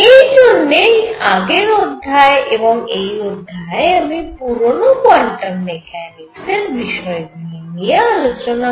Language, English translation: Bengali, That is why I am doing this the previous lecture and this lecture devoted to old quantum theory